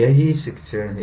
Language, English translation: Hindi, That is what teaching is all